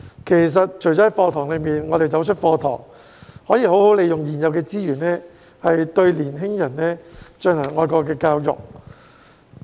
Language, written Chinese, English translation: Cantonese, 其實，除了在課堂內，當我們走出課堂外，也可以好好利用現有資源，對年輕人進行愛國教育。, Actually apart from teaching in the classroom we can also make good use of existing resources to educate young people on patriotism outside the classroom